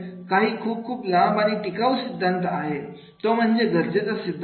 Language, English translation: Marathi, The very, very long sustainable theory is that is the need theory